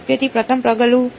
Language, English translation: Gujarati, So, first step was basis